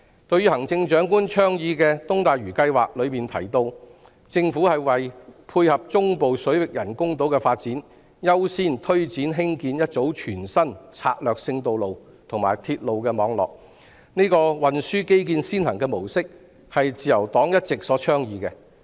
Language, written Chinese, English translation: Cantonese, 對於行政長官倡議的東大嶼計劃中提到，政府會為配合中部水域人工島的發展，優先推展興建一組全新策略性道路和鐵路網絡，這個運輸基建先行模式，是自由黨一直所倡議的。, Under the East Lantau plan advocated by the Chief Executive in order to tie in with the development of artificial islands in the central waters the Government will give priority to the construction of a new strategic road and railway network . This approach of giving priority to transport infrastructure has long been advocated by the Liberal Party